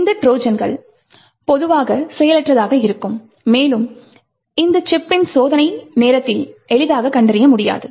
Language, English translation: Tamil, This Trojan will be typically dormant and not easily detectable during the testing time of this particular chip